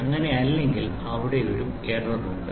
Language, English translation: Malayalam, If it is not so, there is an error